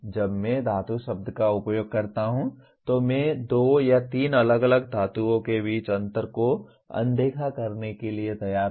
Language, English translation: Hindi, When I use the word metal, I am willing to ignore differences between two or three different metals